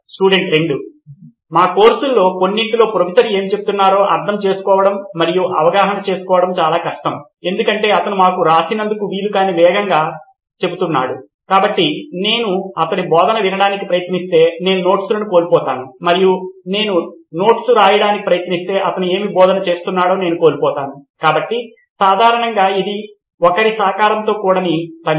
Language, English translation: Telugu, Well in few of our courses actually it is kind of difficult to understand and interpret what the Professor is saying because he is saying it way too fast for us to write down, so if I try to listen to him I miss out the notes and if I try to write I miss out what he is saying, so generally a collaborative work